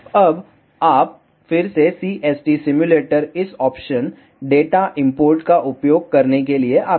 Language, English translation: Hindi, Now, you come to again CST simulator use this options data import